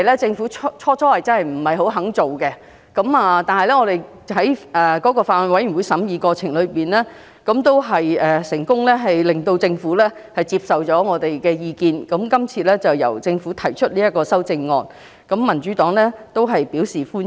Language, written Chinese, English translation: Cantonese, 政府最初不想作出這項修正，但其後在法案委員會的審議過程中，我們成功遊說政府接受我們的意見，並由政府提出修正案，民主黨對此表示歡迎。, At first the Government did not want to make this amendment but in the subsequent scrutiny of the Bill we managed to convince the Government to propose this amendment as advised . The Democratic Party therefore welcome this group of amendments